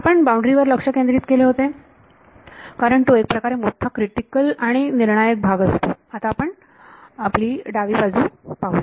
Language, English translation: Marathi, So, far we have been concentrating on the boundary because that is the more sort of critical crucial part next we will look at the left hand side